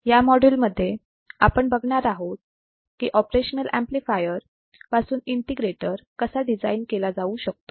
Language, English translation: Marathi, In this particular module, we will see how the integrator can be designed using an operational amplifier